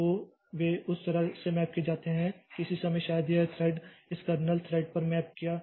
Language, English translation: Hindi, So, at some point of time maybe this thread was mapped to this kernel thread